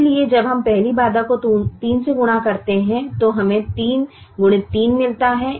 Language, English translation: Hindi, so when we multiply the first constraint by three, we get three into three